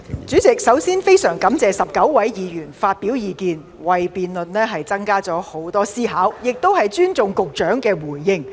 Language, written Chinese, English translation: Cantonese, 主席，首先我非常感謝19位議員發表意見，為辯論增添很多思考的空間，我亦尊重局長的回應。, President first of all I thank 19 Members very much for their opinions which provide more room for reflection in this motion debate and I respect the reply given by the Secretary